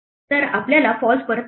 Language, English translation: Marathi, So, we return false